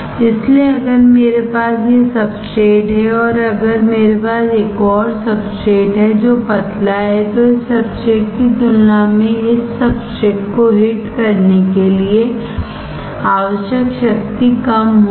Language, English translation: Hindi, So, if I have this substrate and if I have another substrate which is thin then the power required to hit this substrate compared to this substrate will be less